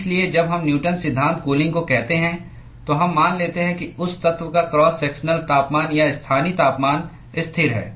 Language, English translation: Hindi, So, when we say Newton’s law of cooling, we assume that the cross sectional temperature or the local temperature of that element is constant